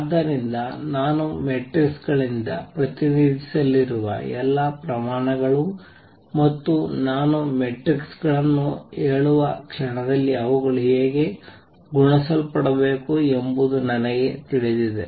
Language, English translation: Kannada, So, all quantities I going to be represented by matrices and the moment I say matrices I also know how they should be multiplied consequence of this is that